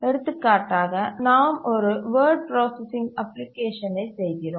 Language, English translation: Tamil, For example, you are doing a word processing application and you want to save the file